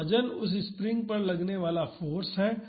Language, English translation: Hindi, So, the weight is the force acting on that springs